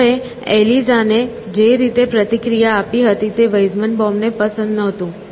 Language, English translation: Gujarati, Weizenbaum did not like the way people responded to Eliza